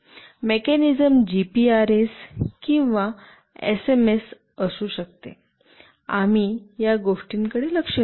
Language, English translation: Marathi, The mechanism could be GPRS or SMS, we will look into these things